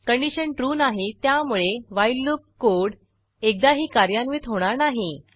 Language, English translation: Marathi, If the condition is true, the loop will get executed again